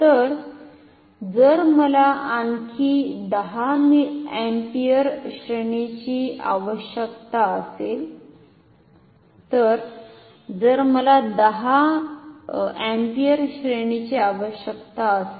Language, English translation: Marathi, So, if I need say another range of say 10 ampere what will be the value of this resistance ok